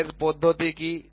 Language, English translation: Bengali, What is a wire method